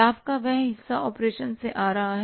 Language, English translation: Hindi, That part of the profit which is coming from the operations